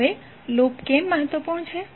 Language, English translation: Gujarati, Now, why the loop is important